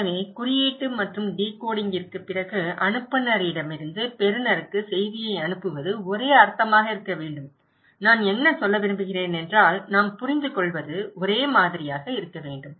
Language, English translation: Tamil, So, sending the message from sender to receiver after coding and decoding should be same meaning, what I want to mean and what I understand should be same